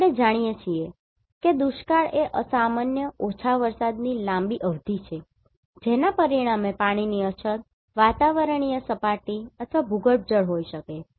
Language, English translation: Gujarati, So, as we know drought is a prolonged period of abnormally low rainfall resulting in shortage of water that may be atmospheric surface or groundwater right